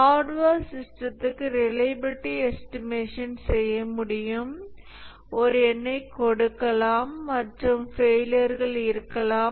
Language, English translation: Tamil, Reliability estimation can be done for a hardware system, a number can be given and there can be failures